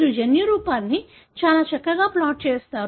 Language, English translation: Telugu, You pretty much plot the genotype